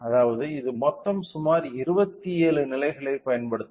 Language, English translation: Tamil, So, which means it will use a total of approximately 27 levels